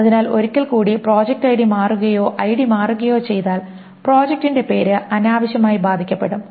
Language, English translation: Malayalam, So once more, if the project ID changes or if the ID changes project name is affected unnecessarily